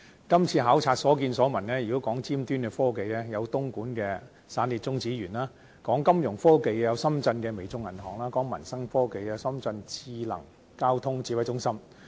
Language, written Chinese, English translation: Cantonese, 今次考察所見所聞，如果說到尖端科技，有東莞的"散裂中子源"項目，說到金融科技有深圳的微眾銀行，說到民生科技有深圳市交警智能交通指揮中心。, In the field of cutting - edge technologies we visited the China Spallation Neutron Source facility in Dongguan . In the area of financial technology we saw the WeBank of Shenzhen . And in the sphere of technological application in peoples daily life we visited the Shenzhen Traffic Police Intelligent Traffic Command Center